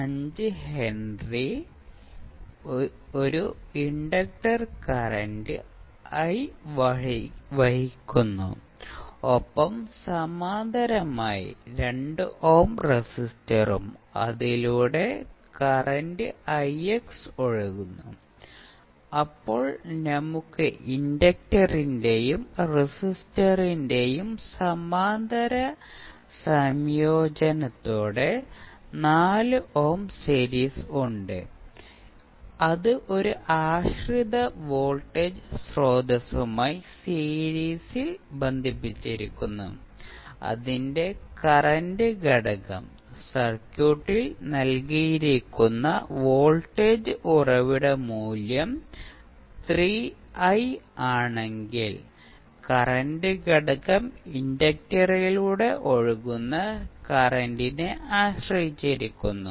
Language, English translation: Malayalam, 5 henry is carrying some current I and in parallel with we have a 2 ohm resistance where the current I x is flowing an then we have 4 ohm in series with the parallel combination of inductor and resistor and which is connected in series with one dependent voltage source, whose current component that is if the voltage source value given in the circuit is 3I the current component is depending upon the current flowing through the inductor